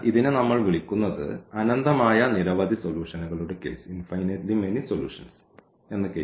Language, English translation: Malayalam, So, now this is the case of this infinitely many solutions which we call